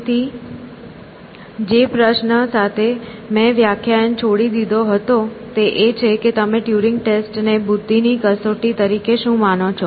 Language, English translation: Gujarati, So, the question which I left the class with was, what you think of the Turing test as a test of intelligence